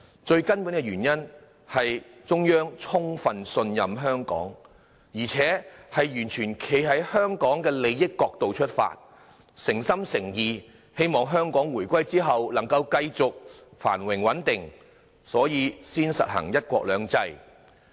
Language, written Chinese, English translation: Cantonese, 最根本的原因，是中央充分信任香港，而且完全站在香港的利益角度出發，誠心誠意希望香港回歸後可以繼續繁榮穩定，所以才實行"一國兩制"。, The fundamental reason is that the Central Authorities fully trust Hong Kong and having full regard to the interests of Hong Kong sincerely hope that Hong Kong can continue to enjoy prosperity and stability following the reunification . One country two systems has thus been implemented